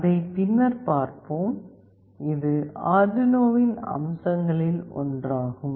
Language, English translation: Tamil, We will look into that later, this is one of the feature of Arduino